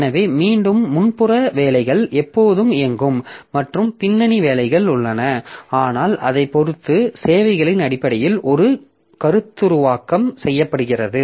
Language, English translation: Tamil, So again, the the foreground jobs will be always running and the background jobs are there but depending upon it is a conceptualized in terms of services